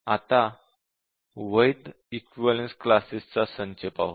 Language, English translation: Marathi, Now, let us look at the valid set of equivalence classes